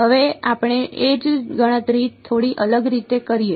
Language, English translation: Gujarati, Now let us do the same calculation in a slightly different way